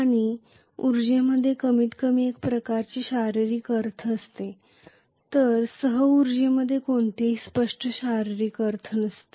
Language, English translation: Marathi, And energy has at least some kind of physical connotation whereas co energy does not have any clear physical connotation